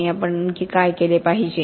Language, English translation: Marathi, And what should be we doing more of